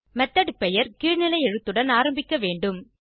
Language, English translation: Tamil, Method name should begin with a lowercase letter